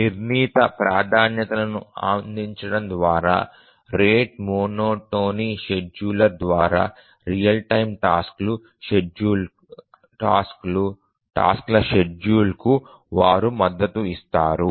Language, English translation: Telugu, They support real time tasks scheduling through the rate monotonic scheduler by providing a fixed set of priorities